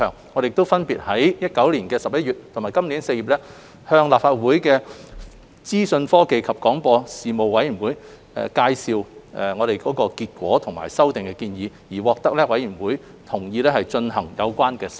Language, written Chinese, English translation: Cantonese, 我們亦分別於2019年11月及今年4月向立法會資訊科技及廣播事務委員會介紹諮詢結果及修例建議，獲得委員會同意進行有關修訂。, In November 2019 and April this year we briefed the Panel on Information Technology and Broadcasting of the Legislative Council on the outcome of the consultation and the proposed legislative amendments and the Panel agreed to conduct the amendment exercise